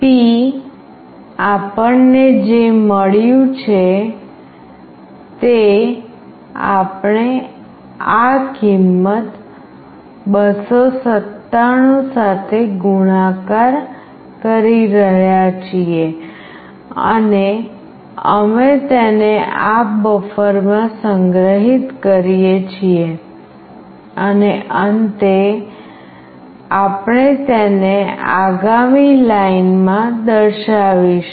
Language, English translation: Gujarati, p is whatever we have got that we are multiplying with this value 297 and we are storing it in this buffer, and finally we are displaying it in the next line